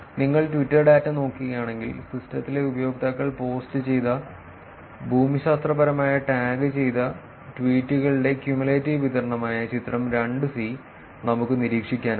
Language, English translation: Malayalam, If you look at the Twitter data, we can observe that figure 2, the cumulative distribution of geographically tagged tweets posted by users in the system